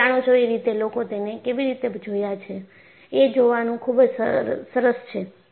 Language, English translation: Gujarati, You know, it is very nice to see, how people have looked at it